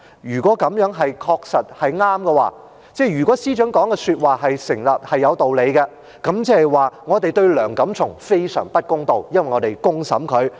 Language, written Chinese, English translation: Cantonese, 如果這樣是正確，即如果司長的說話成立，是有道理，即是我們對梁錦松非常不公道，因為我們公審他。, Had this been correct that is if the Secretarys remarks had been valid and justified we would have been very unfair to Mr Antony LEUNG because we had put him on trial by public opinion